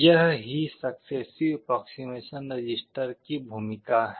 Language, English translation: Hindi, This is the role of the successive approximation register